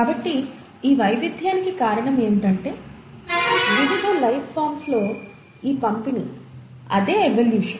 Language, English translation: Telugu, So what is it that caused this variation, this distribution in different life forms, and that is evolution